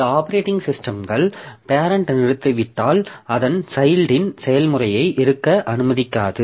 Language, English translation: Tamil, So, some operating systems do not allow a child process to exist if its parent has terminated